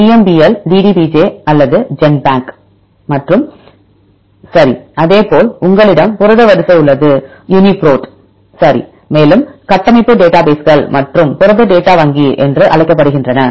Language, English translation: Tamil, EMBL DDBJ right Genbank and all right likewise you have the protein sequence databases called the UniProt right and also structure database called protein data bank